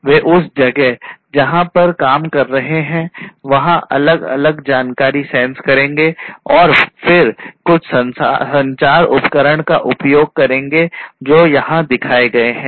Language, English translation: Hindi, They will sense different information in the place where they are operating and then using certain communication devices like the ones shown over here